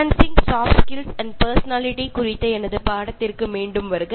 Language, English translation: Tamil, Welcome back to NPTEL’s MOCC’s course on Enhancing Soft Skills and Personality